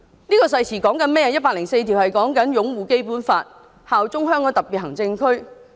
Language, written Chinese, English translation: Cantonese, 《基本法》第一百零四條是有關擁護《基本法》，效忠香港特別行政區。, Article 104 of the Basic Law is about upholding the Basic Law and pledging allegiance to the Hong Kong Special Administrative Region SAR